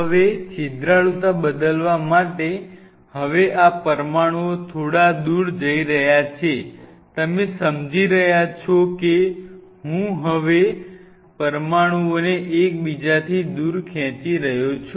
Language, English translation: Gujarati, Now, in order to change the porosity, now realizing these molecules are moving a little far away, you are realizing I am now stretching the molecules far away from each other